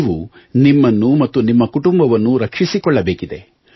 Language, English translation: Kannada, You have to protect yourself and your family